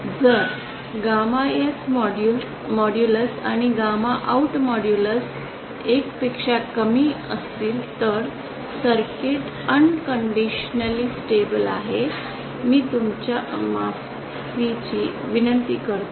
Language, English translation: Marathi, If gamma N modulus and gamma OUT modulus is lesser than 1 then the circuit is unconditionally stable unconditionally stable I beg your pardon